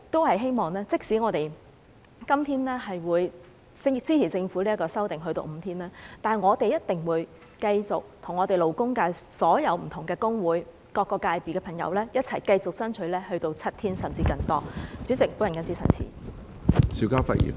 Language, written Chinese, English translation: Cantonese, 不過，即使我們今天支持政府把侍產假日數修訂至5天，我們定會與勞工界所有不同工會和各個界別的朋友一起繼續爭取7天甚至更多的侍產假。, We support the Government in extending paternity leave to five days at the moment but we will continue to fight for a further extension of paternity leave to seven days or even a longer period alongside all other trade unions and various sectors in society